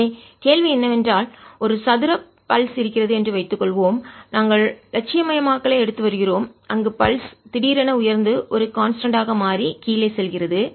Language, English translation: Tamil, so the question is: suppose there's a square pulse, we are taking idealization where the pulse suddenly rises, becomes a constant and goes down